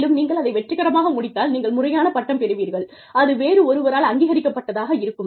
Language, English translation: Tamil, And, if you successfully complete it, you could end up, getting a formal degree, that is recognized by somebody